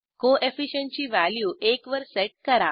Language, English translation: Marathi, Set the Co efficient value to one